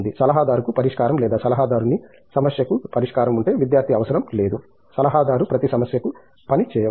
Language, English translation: Telugu, The adviser does not have a solution, if the adviser has a solution to the problem he does’nt need a student, the adviser can work towards every problem